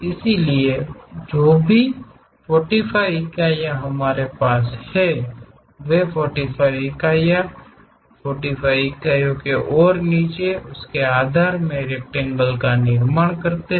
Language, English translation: Hindi, So, whatever 45 units we have here here 45 units there, so 45 units 45 units and construct the basement rectangle